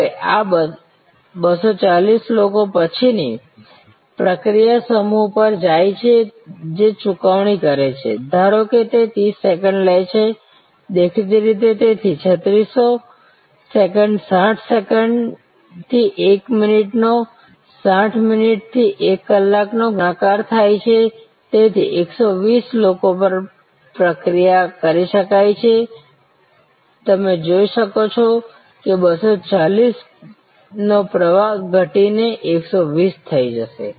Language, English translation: Gujarati, Now, these 240 people then go to the next process block which is making payment, suppose that takes 30 second; obviously, therefore, 3600 seconds 60 seconds to a minute multiplied by 60 minutes to an hour, so 120 people can be processed, you can see that a flow of 240 now drop to 120